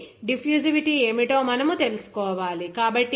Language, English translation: Telugu, So, you have to know that what should be the diffusivity